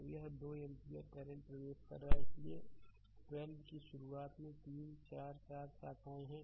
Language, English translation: Hindi, So, this 2 ampere current is entering right so, there early 1 2 then 3 4 4 branches are there